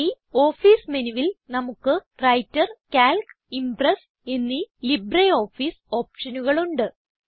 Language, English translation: Malayalam, In this Office menu, we have LibreOffice options like Writer, Calc and Impress